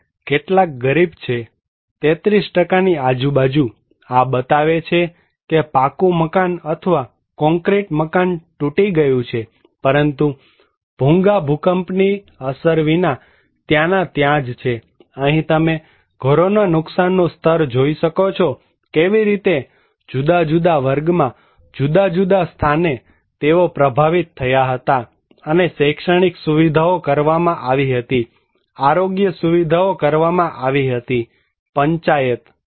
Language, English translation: Gujarati, And some are poor, 33% around so, this showing that Pucca House or concrete house broken, but whereas, Bhugas remain there without any impact of earthquake, here you can see the damage level of the houses those partially how they was affected in different category and educational facilities were done, health facilities were done, panchayat